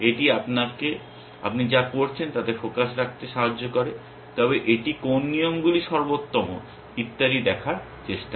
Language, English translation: Bengali, It helps you keep focus to what you are doing, but it also tries to see which rules are best and so on